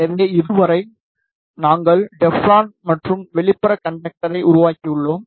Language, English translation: Tamil, So, so far we have made the Teflon and the outer conductor